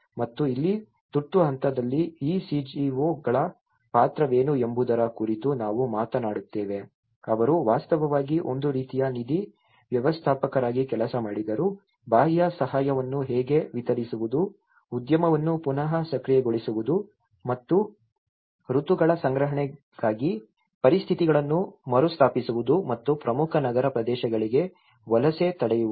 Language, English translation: Kannada, And here, in the emergency phase, we talk about what is the role of this CGOs, they actually worked as a kind of fund managers, how to distribute the external aid, reactivating the industry and re establishing conditions for collection of seasons harvest and preventing migration to main urban areas